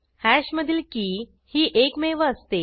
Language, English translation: Marathi, These are the keys of hash